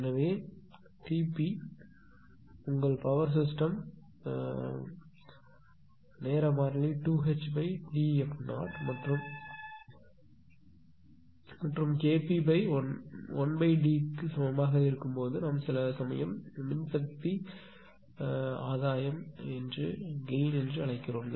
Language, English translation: Tamil, So, here T p is equal to your power system time constant 2 H upon D f 0 and K p is equal to 1 upon is equal to we call sometimes gain of power system